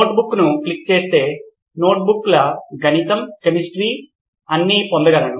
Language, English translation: Telugu, Notebook I click I get all the list of notebooks mathematics, chemistry what not